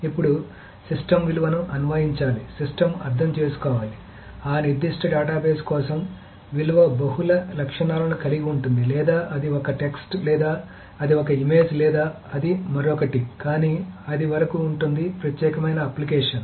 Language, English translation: Telugu, The system has to understand that for that particular database the value consisted of multiple attributes or it's a text or it's an image or it's something else, but that is up to the particular application